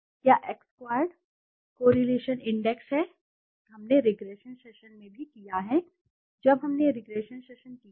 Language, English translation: Hindi, Is X squared correlation index, that we have also done in the regression chapter also when we did session of regression